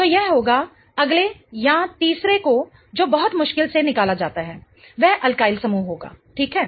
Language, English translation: Hindi, Or the third one that very, very difficult to pick out will be the alkeneal group, right